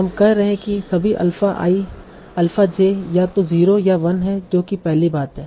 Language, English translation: Hindi, So we are saying all the alpha i, alpha j are either 0 or 1